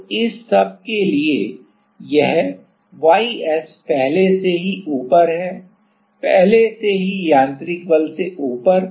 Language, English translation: Hindi, So, at all the for all the this all the ys it is already above the; already above the mechanical force